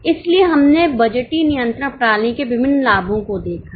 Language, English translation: Hindi, So, we have seen various advantages of budgetary control system